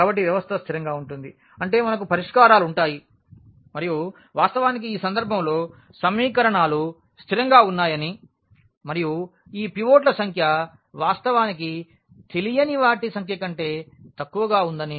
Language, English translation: Telugu, So, the system is consistent means we will have solutions and in the indeed in this case when we see that the equations are consistent and this number of pivots are less than actually the number of unknowns